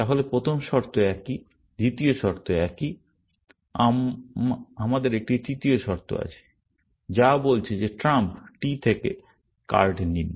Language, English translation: Bengali, first condition is the same; the second condition is the same; we have a third condition, which is saying that from trump suit t